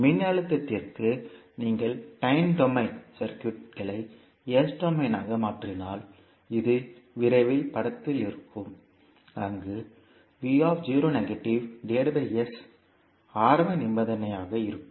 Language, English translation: Tamil, For voltage if you transform the time domain circuit into s domain, this will be as soon in the figure, where v naught by s would be the initial condition